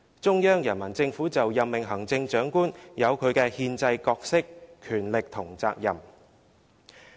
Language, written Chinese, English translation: Cantonese, 中央人民政府就任命行政長官有其憲制角色、權力和責任。, In respect of the appointment of the Chief Executive the Central Peoples Government has its constitutional roles rights and responsibilities